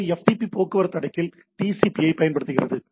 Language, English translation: Tamil, So, a FTP uses TCP at the transport layer